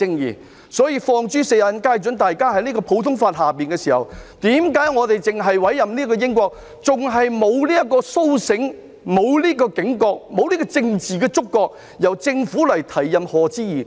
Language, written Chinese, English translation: Cantonese, 因此，這是放諸四海皆準的，大家也在普通法系下，為何我們只委任英國的法官，為何仍然未甦醒、沒有警覺，亦沒有政治觸覺，由政府提出委任賀知義。, This is universal . When there are other common law jurisdictions why do we only appoint judges from the United Kingdom? . Why are we still not awakened not alert and not politically sensitive enough for the Government to propose the appointment of Lord Patrick HODGE